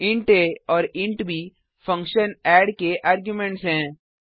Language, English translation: Hindi, int a and int b are the arguments of the function add